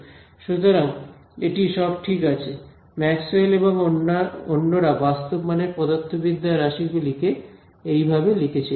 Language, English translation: Bengali, So, this is all fine, this is how Maxwell and company had written it in terms of real valued physical quantities ok